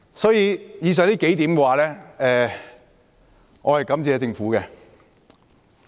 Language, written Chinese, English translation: Cantonese, 所以，就以上數點來說，我是感謝政府的。, Hence I would like to express my gratitude to the Government for acceding to the several requests mentioned above